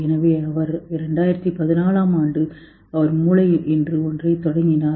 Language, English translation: Tamil, So he, 2014, he started something called brain